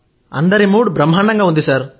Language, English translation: Telugu, Everyone's mood is upbeat